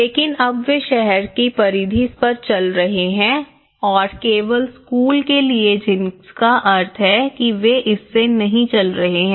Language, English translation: Hindi, But now, they are walking on the periphery of the town and only to the school which means they are not walking from this